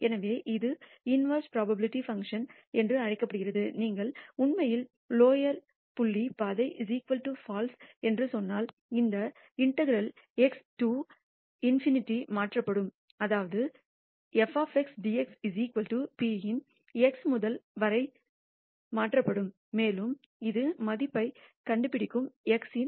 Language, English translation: Tamil, So, this is called the in verse probability function as before if you actually say lower dot trail is equal to FALSE, then this integral will be replaced by x to in nity such that x to infinity of f of x dx is equal to p and it will find the value of x